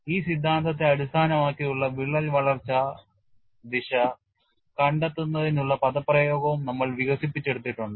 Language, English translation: Malayalam, And we had also developed the expression for finding out the crack growth direction based on this theory